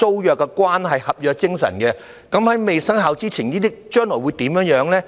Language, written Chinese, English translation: Cantonese, 事關合約精神，在《條例草案》未生效前，這些租約將來會怎樣呢？, As it matters the spirit of contract may I ask before the Bill comes into effect that what such tenancy agreements will be in the future?